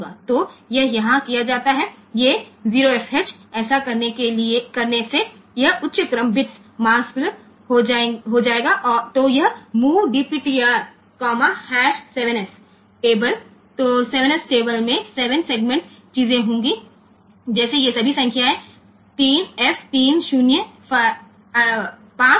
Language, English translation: Hindi, So, that is done here by doing this 0 fh this higher order bits will be masked off, then this move DPTR comma hash 7 s table so 7 s table will have the 7 segment things like all these numbers 3 f 3 0 5 b so, whatever patterns are there